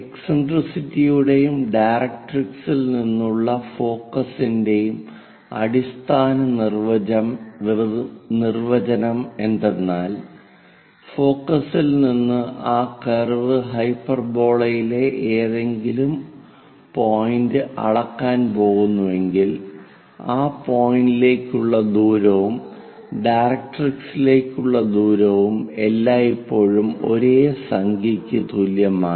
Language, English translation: Malayalam, The basic definition of this eccentricity and focus from the directrix is, from focus if we are going to measure any point on that curve hyperbola that distance to the distance of that point to the directrix always be equal to the same number